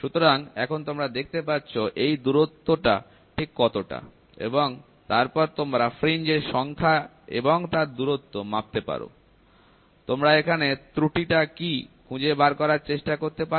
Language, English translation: Bengali, So now, you can see that distance whatever it is and then you can the number of fringes distance what you measure, you can try to find out what is the error